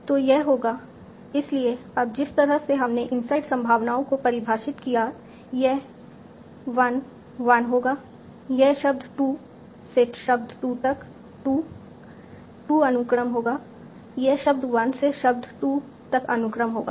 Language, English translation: Hindi, So, this would be, so now in the in the, in the, the way we defined insert probability, this would be 1 1, this would be 2, 2, sequence from word 2 to word 2